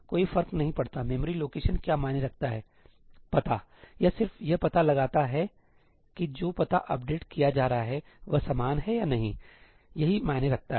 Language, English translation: Hindi, That does not matter; the memory location is what matters the address; it just figures out that whether the address being updated is the same or not; that is what matters